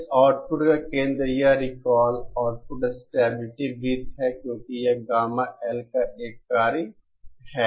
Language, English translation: Hindi, The Centre of this output, this recall is an output stability circle because it is a function of gamma L